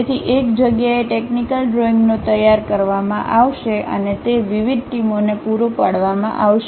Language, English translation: Gujarati, So, technical drawings will be prepared at one place and that will be supplied to different teams